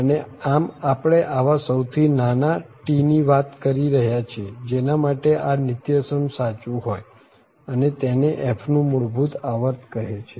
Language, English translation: Gujarati, And as a whole we are talking about the smallest of such T for which this equality is true and this is called the fundamental period of t